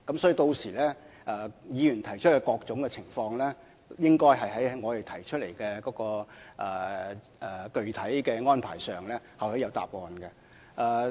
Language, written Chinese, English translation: Cantonese, 所以，議員提出關注的各種情況，屆時應該會在我們提出的具體安排中得到答案。, Therefore with regard to the various concerns raised by Members they should be able to find the answers in the specific arrangements to be put forward by us then